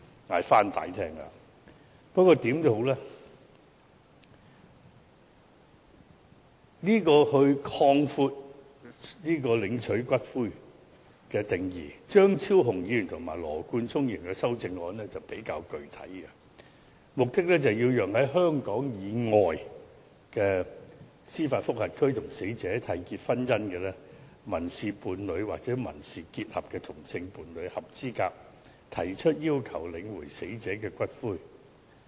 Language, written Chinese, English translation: Cantonese, 無論如何，對於擴闊領取骨灰的人士的定義，張超雄議員及羅冠聰議員的修正案內容比較具體，目的是讓在香港以外的司法管轄區與死者締結婚姻、民事伴侶或民事結合的同性伴侶合資格提出要求領回死者的骨灰。, In any event with regard to expanding the definition of persons eligible to claim for the return of ashes the amendments proposed by Dr Fernando CHEUNG and Mr Nathan LAW are more specific . They seek to allow the same - sex partner in a marriage civil partnership or civil union with the deceased person which was contracted in a jurisdiction outside Hong Kong to be eligible to claim for the return of ashes of the deceased